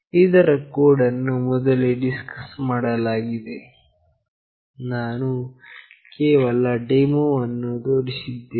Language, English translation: Kannada, The code for the same was already discussed, I have just shown the demonstration